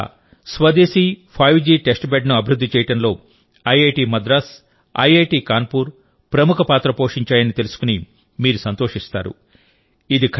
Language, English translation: Telugu, You will also be happy to know that IIT Madras and IIT Kanpur have played a leading role in preparing India's indigenous 5G testbed